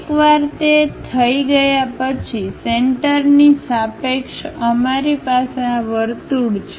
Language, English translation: Gujarati, Once that is done, with respect to center we have this circle